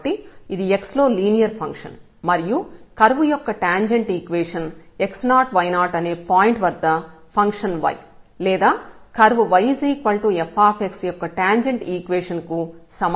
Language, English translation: Telugu, So, this is a linear function of x and the equation of the tangent of the curve this is nothing, but the equation of the tangent at the point x naught f x naught of this function y is equal to or curve y is equal to f x